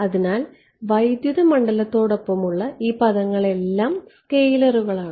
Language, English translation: Malayalam, So, all of these terms accompanying the electric field are scalars right